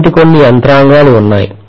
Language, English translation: Telugu, There are some mechanisms like that